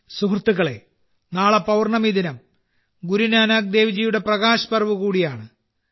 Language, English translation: Malayalam, Friends, tomorrow, on the day of the full moon, is also the Prakash Parv of Guru Nanak DevJi